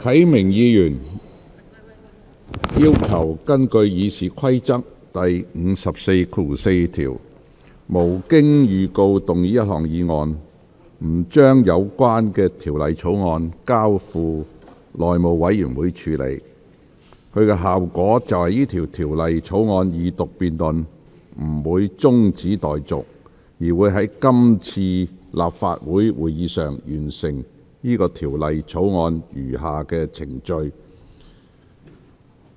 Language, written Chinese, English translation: Cantonese, 何啟明議員要求根據《議事規則》第544條，動議一項可無經預告的議案，不將有關《條例草案》交付內務委員會處理，其效果是有關《條例草案》的二讀辯論不會中止待續，而是在是次立法會會議處理該《條例草案》的餘下程序。, Mr HO Kai - ming has requested to move a motion without notice under RoP 544 that the Bill be not referred to the House Committee the effect of which is such that the Second Reading debate on the Bill will not be adjourned and the remaining procedures in respect of the Bill will be disposed of in this meeting of the Legislative Council